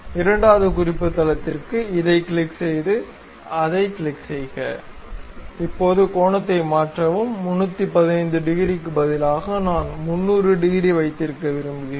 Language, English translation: Tamil, For the second reference click, click that; now change the angle, instead of 315 degrees, I would like to have some 300 degrees